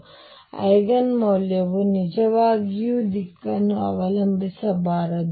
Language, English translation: Kannada, So, Eigen value should not really depend on the direction